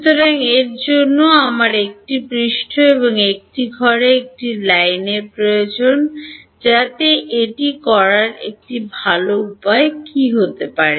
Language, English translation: Bengali, So, for that I need a surface and a line enclosing it, so what might be good way to do this